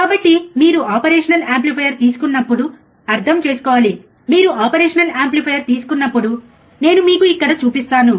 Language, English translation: Telugu, So now you have to understand when you take operational amplifier, when you take an operational amplifier, I will show it to you here